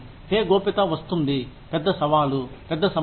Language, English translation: Telugu, Pay secrecy comes with, a big challenge, a big problem